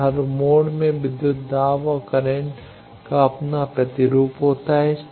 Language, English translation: Hindi, Now, every mode has its own counterpart of voltage and current